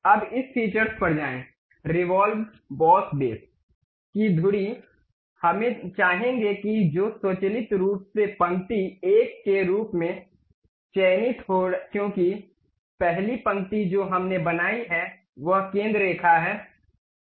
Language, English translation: Hindi, Now, go to features revolve boss base around this axis we would like to have which is automatically selected as line 1, because the first line what we have constructed is that centre line